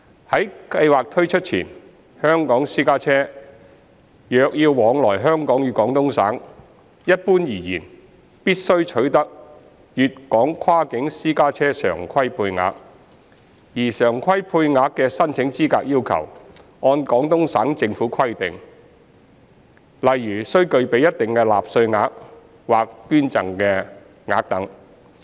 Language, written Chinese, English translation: Cantonese, 在計劃推出前，香港私家車若要往來香港與廣東省，一般而言必須取得粵港跨境私家車常規配額，而常規配額的申請資格要求按廣東省政府規定，例如須具備一定納稅額或捐贈額等。, Prior to the launch of the Scheme a Guangdong - Hong Kong cross - boundary private car regular quota is generally required before a Hong Kong private car can travel between Hong Kong and Guangdong . The eligibility criteria for a regular quota are laid down by the Guangdong government such as accumulating a certain amount of tax payment or donations